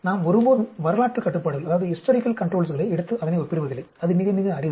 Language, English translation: Tamil, We never take historical controls and then compare it that is very, very rare